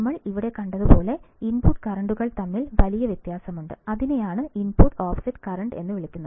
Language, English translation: Malayalam, As we have seen this, that there is a big difference between the input currents and is the input offset current